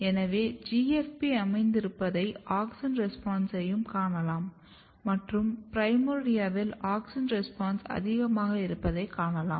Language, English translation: Tamil, So, you can see the GFP localization as well as the auxin response and you can see that auxin response are very high in the primordia